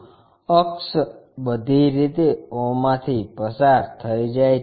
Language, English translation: Gujarati, Axis, axis goes all the way through o